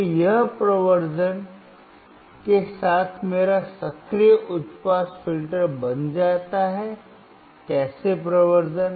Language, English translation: Hindi, So, this becomes my active high pass filter with amplification, how amplification